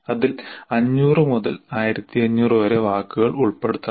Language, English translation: Malayalam, And it should include 500 to 1,500 words